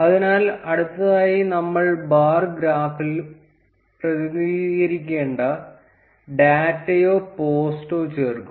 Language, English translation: Malayalam, So, next we will add the data or the post which we need to be represented in the bar graph